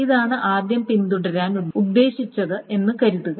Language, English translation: Malayalam, Suppose this was what was intended to follow